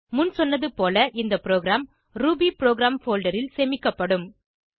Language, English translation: Tamil, This program will be saved in rubyprogram folder as mentioned earlier